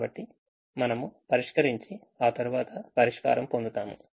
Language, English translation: Telugu, so we solve and then we get the solution